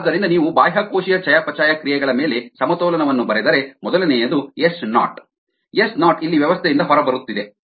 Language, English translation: Kannada, so if you write a balance on the extracellular metabolites, so if you write a balance on the extracellular metabolites on first, one s naught s naught is getting out of the system here